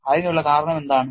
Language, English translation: Malayalam, What is the reason for that